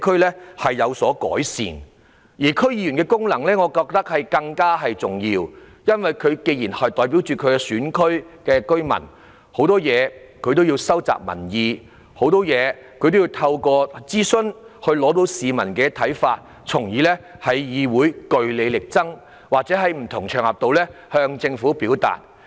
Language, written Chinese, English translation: Cantonese, 不過，我認為區議員的功能更重要，因為他們作為居民代表，有需要就很多事情收集民意，透過諮詢了解市民的看法，然後在區議會內據理力爭，或是在不同場合向政府表達。, And yet in my opinion the functions of DC members are far more important because as representatives of the residents they are bound to collect public views on a myriad of issues gauge public opinion through consultation and then fight for them in DCs or relay their views to the Government on various occasions